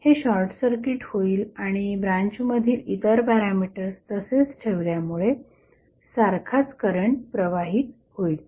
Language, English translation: Marathi, So, this would be short circuited and the same current will flow in the branch keeping other parameters same